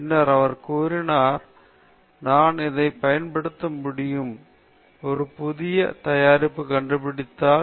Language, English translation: Tamil, Then he said can I invent a new product which can make use of this